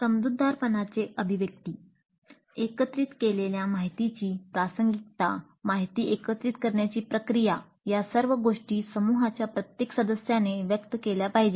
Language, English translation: Marathi, The articulation of the understanding, the relevance of the information gathered, the process by which information gathered, all these things must be articulated by every member of the group